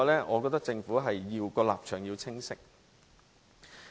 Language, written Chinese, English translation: Cantonese, 我覺得政府的立場是要清晰的。, I think the stance of the Government has to be clear